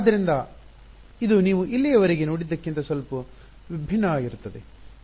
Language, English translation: Kannada, So, this is going to be slightly different from what you have seen so far